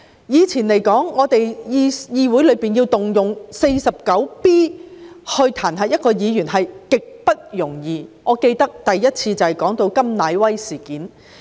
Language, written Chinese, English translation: Cantonese, 以前，議會要動用《議事規則》第 49B 條彈劾議員是極不容易的，我記得首次引用該條便是為了調查甘乃威事件。, In the old days it was extremely difficult to invoke Rule 49B of the Rules of Procedure to censure a Member in the legislature . As I remember that particular rule was invoked for the very first time to inquire into the incident involving KAM Nai - wai